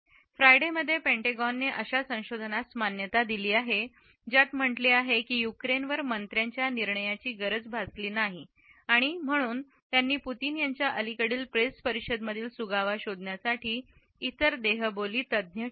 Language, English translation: Marathi, On Friday, the Pentagon acknowledged such research which says it has not made it difference need minister’s decision making on Ukraine So, that has not kept other body language experts for looking for clues in Putin’s must recent press conference